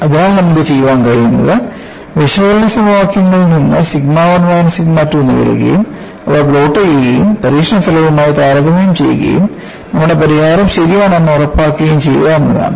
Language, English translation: Malayalam, So, what we could do is, from the analytical equation, get sigma 1 minus sigma 2 and plot them and compare with the experimental result and ensure, whether our solution is correct